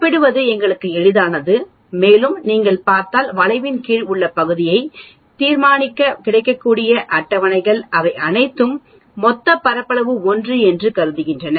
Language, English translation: Tamil, It becomes easy for us to compare and also if you look at the tables that are available for determining the area under the curve, they are all assuming that the total area is 1